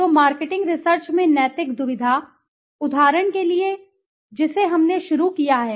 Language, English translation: Hindi, So the ethical dilemma in marketing research, for example let us an example we have started with